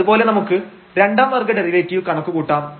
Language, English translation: Malayalam, Similarly, we can compute the second order derivative